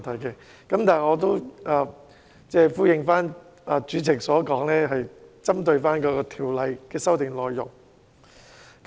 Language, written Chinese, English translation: Cantonese, 不過，我會依照主席所說，針對《條例草案》的修訂內容發言。, Nevertheless I will follow the Presidents instruction and focus on the amendments of the Bill in my speech